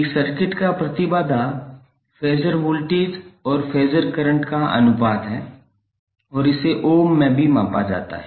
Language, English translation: Hindi, The impedance of a circuit is the ratio of voltage phasor and current phasor and it is also measured in ohms